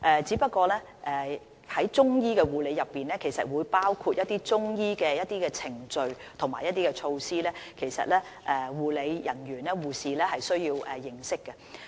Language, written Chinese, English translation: Cantonese, 只是在中醫護理中，是會包括一些中醫程序和措施，護理人員包括護士是需要認識的。, The main thing is that certain Chinese medicine procedures and measures which health care personnel must know are included in the training on Chinese medicine nursing